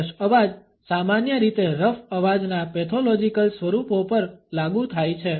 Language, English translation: Gujarati, Hoarse voice is normally applied to pathological forms of rough voice